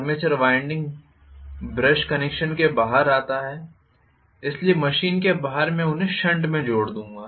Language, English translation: Hindi, The armature winding comes out with brush connection, so external to the machine I will connect them in shunt